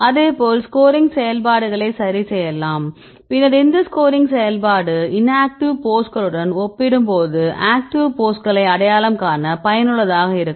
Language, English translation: Tamil, Likewise you can adjust the scoring functions then this scoring function can be useful to identify the actives compared with the inactives right